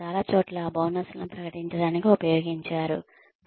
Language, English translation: Telugu, In many places, have been used to declare bonuses